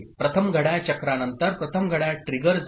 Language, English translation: Marathi, So after first clock cycle, first clock trigger has happened